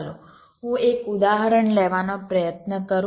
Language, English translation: Gujarati, let let me give an example